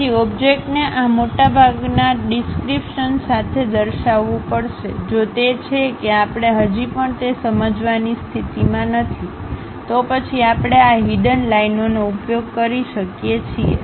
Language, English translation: Gujarati, So, the object has to be shown with most of this description; if that is we are still in not in a position to really sense that, then we can use these hidden lines